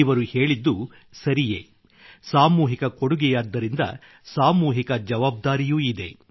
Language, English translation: Kannada, It is correct that just as there is a collective gift, there is a collective accountability too